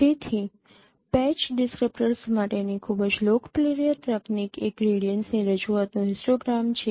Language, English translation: Gujarati, So, one of the very popular technique for patch descriptors is histogram of gradient representation